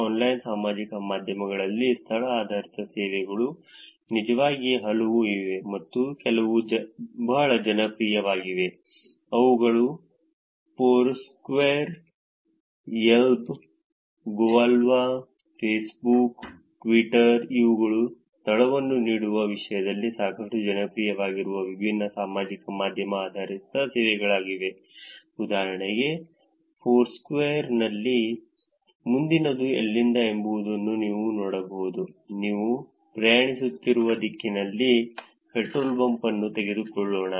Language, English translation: Kannada, Location based services on online social media, there are many actually and there are some which are very popular which are like Foursquare, Yelp, Gowalla, Facebook, Twitter these are the different social media services that are actually pretty popular in terms of giving the location based services, for example, in Foursquare you could actually see where is the next, let us take petrol pump, in the directions that you’re travelling